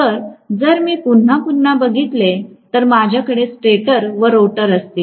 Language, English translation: Marathi, So, if I am going to again, again, I will have a stator and a rotor